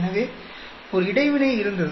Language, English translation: Tamil, So there was an interaction